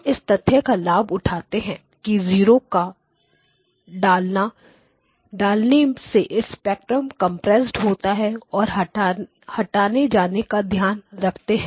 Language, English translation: Hindi, Okay so we take advantage of the fact that the insertion of zeroes compresses the spectrum and then basically you need to take care of it by removing